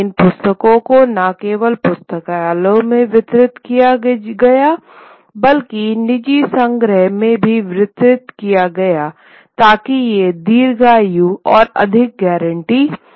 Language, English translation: Hindi, And these books were not only distributed in libraries but also in private collections, so had greater longevity, greater guarantee